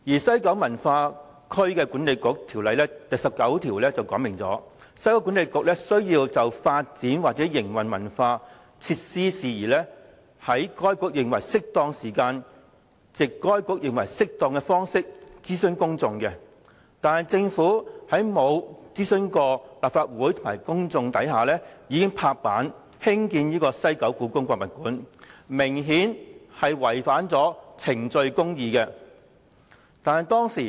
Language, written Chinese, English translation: Cantonese, 《西九文化區管理局條例》第19條訂明，西九管理局須就發展或營運文化設施的事宜，"在該局認為適當的時間，藉該局認為適當的方式，諮詢公眾"，但政府卻在未經諮詢立法會及公眾的情況下"拍板"興建故宮館，明顯違反了程序公義。, Section 19 of the West Kowloon Cultural District Authority Ordinance provides that WKCDA shall in relation to matters concerning the development or operation of arts and cultural facilities consult the public at such time and in such manner as it considers appropriate . As the Government endorsed the proposal to build HKPM before consulting the Legislative Council and the public it has clearly contravened the rules of procedural justice